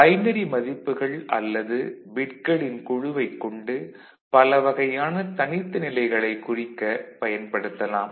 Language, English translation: Tamil, And a group of binary values or bits can be used to represent many different discreet levels